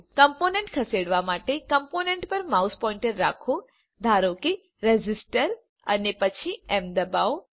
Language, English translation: Gujarati, To move a component, keep the mouse pointer on a component, say resistor, and then press m